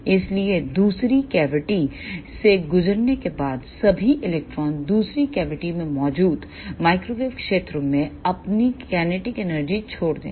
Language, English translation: Hindi, So, after passing through second cavity, all the electrons will give up their kinetic energy to the ah microwave fields present in the second cavity